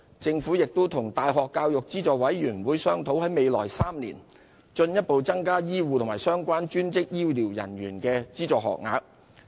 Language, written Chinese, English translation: Cantonese, 政府亦與大學教育資助委員會商討，在未來3年進一步增加醫護和相關專職醫療人員的資助學額。, The Government is also discussing with the University Grants Committee a further increase in publicly - funded training places for health care personnel and relevant allied health professionals in the coming three years